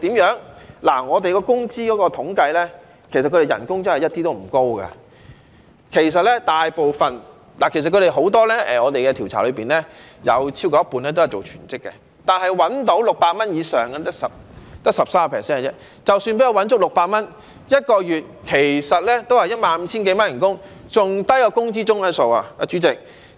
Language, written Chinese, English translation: Cantonese, 根據我們的工資統計，其實他們的工資真的一點也不高，在我們的調查中有超過一半人都是做全職的，但賺取600元以上的只有 13%， 即使能夠賺取足600元 ，1 個月其實亦只有 15,000 多元工資，比工資中位數還要低，主席。, According to our wage statistics their wages are honestly not high at all . Half of the respondents in our survey work on a full - time basis but only 13 % of them can earn over 600 . Even if they can earn up to 600 their wages merely amount to 15,000 a month actually and this sum is even lower than the median wage